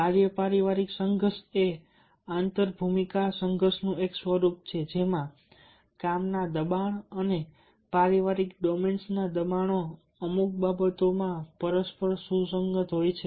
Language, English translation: Gujarati, work family conflict is a form of inter role conflict in which the pressures from the work and the pressures from the family domains are mutually in compatible